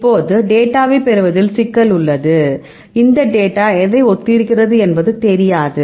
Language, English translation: Tamil, Now, the problem is you get the data, but you do not know this data corresponds to what right